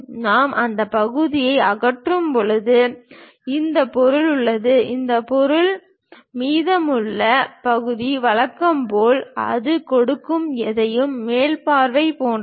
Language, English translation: Tamil, When we are removing that part, this one having material, this one having material; the remaining part is as usual like top view whatever it gives